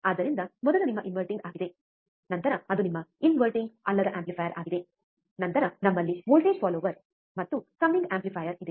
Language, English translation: Kannada, So, first is your inverting, then it is your non inverting amplifier, then we have voltage follower and summing amplifier